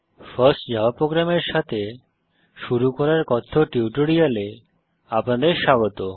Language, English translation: Bengali, Welcome to the Spoken Tutorial on getting started with the First java program